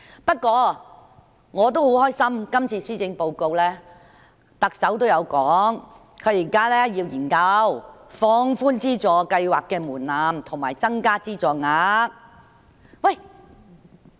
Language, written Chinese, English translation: Cantonese, 不過，我也很高興，特首在今次的施政報告中，亦提到現時會研究放寬資助計劃的門檻及增加資助額。, However I am also very pleased that the Chief Executive mentions in the Policy Address this time relaxation of the threshold for the funding scheme and increase of the funding amount